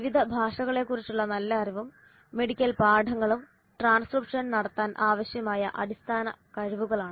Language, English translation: Malayalam, Good knowledge of different languages and medical terminology are basic skills required to perform the transcription